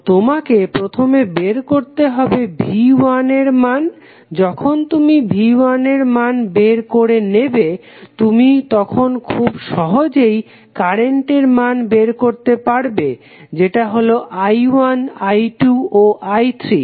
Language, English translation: Bengali, So, you need to first find out the value of V 1 when you find the value of V 1 you can simply find the values of current that is I 1, I 2 and I 3